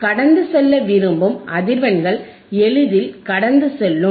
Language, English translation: Tamil, Frequencies that we want to pass will easily pass